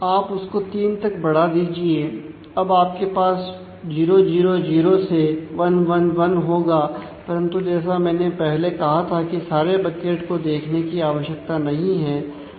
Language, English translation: Hindi, So, you increase that to 3 and now you have 0 0 0 to 1 1 1, but as I have explained not all buckets really need to look into